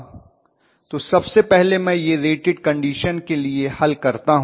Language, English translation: Hindi, So let me first solve for it for rated condition